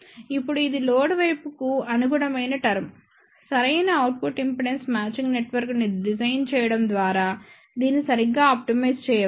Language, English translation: Telugu, Now this is the term which corresponds to the load side, this can be optimized properly by designing a proper output impedance matching network